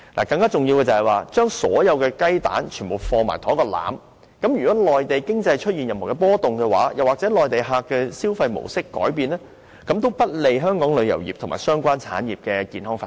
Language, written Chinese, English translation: Cantonese, 更重要的是，我們把所有雞蛋都放進同一個籃子，如果內地經濟出現任何波動，又或內地旅客的消費模式改變，便會不利香港旅遊業和相關產業的健康發展。, More importantly we have put all the eggs in one basket . Should there be any fluctuation in the Mainland economy or change in the spending pattern of Mainland visitors it will be detrimental to the healthy development of Hong Kongs tourism industry and associated industries